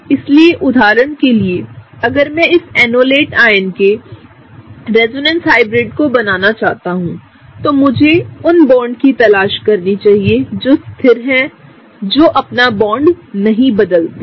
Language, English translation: Hindi, So, for example if I want to draw the resonance hybrid of this enolate ion, what I need to do is I need to look for the bonds that are constant that is the bonds that don’t change